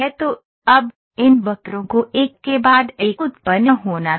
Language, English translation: Hindi, So, now, these curves had to be generated one after the other after the other